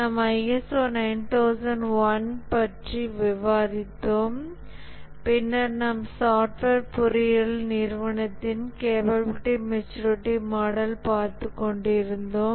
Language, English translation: Tamil, We had discussed about ISO 9,001 and then we had been looking at the Software Engineering Institute, capability maturity model